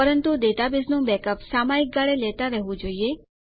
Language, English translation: Gujarati, But a wise thing to do is to keep periodic backups of the database